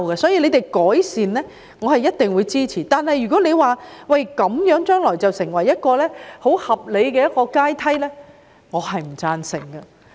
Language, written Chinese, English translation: Cantonese, 所以，任何改善建議我一定支持，但如果將來把"劏房"作為合理的房屋階梯，我不會贊成。, I will definitely support any improvement recommendation . However any future attempt to include subdivided units as part of the housing ladder will not have my support